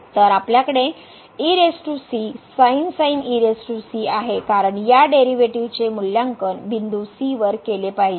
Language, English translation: Marathi, So, we have power power because this the derivative has to be evaluated at point , ok